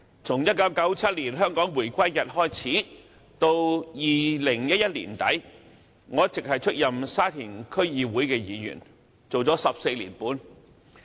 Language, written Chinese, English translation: Cantonese, 從1997年香港回歸開始至2011年年底，我一直出任沙田區議會議員，做了14年半。, From the reunification of Hong Kong in 1997 to the end of 2011 I was a Member of the Sha Tin DC and had remained so for fourteen and a half years